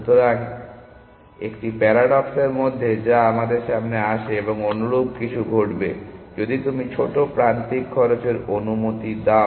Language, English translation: Bengali, So, is 1 of the paradoxes which comes into picture and something similar would happen if you go to allow arbitral small edge cost essentially